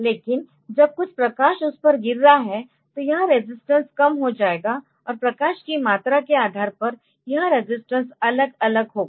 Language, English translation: Hindi, But when some light is falling on to it, then it is resistance will decrease, and depending upon the amount of light that you have so, this resistance will be varying